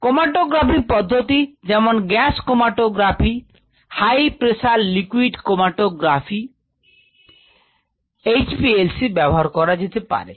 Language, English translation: Bengali, chromatography, matographic methods can be used: gascromatography, high pressure liquid chromatography, HPLC, so on